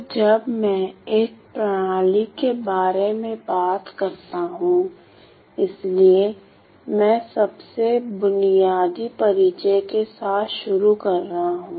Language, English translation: Hindi, So, when I talk about a system; so, I am starting with the most basic definition